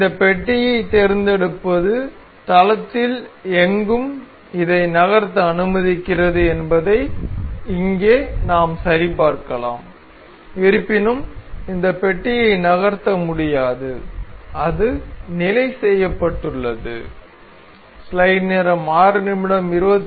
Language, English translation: Tamil, One thing we can check here that selecting this block allows us to move this anywhere in the plane; however, this block cannot be moved and it is fixed